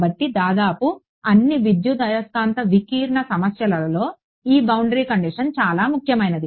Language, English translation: Telugu, So, this boundary condition is very important in almost all electromagnetic scattering problems